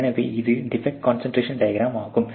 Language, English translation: Tamil, So, that is about the defect concentration diagram